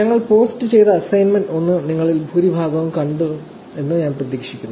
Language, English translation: Malayalam, I hope most of you got to see the assignment 1 that we had posted